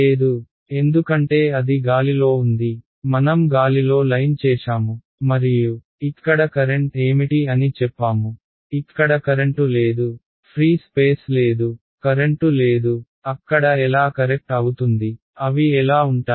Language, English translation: Telugu, No right because it is in thin air, I just made line in the air and said what is the current over here there is no current it is free space there is no current hanging out there how will they be right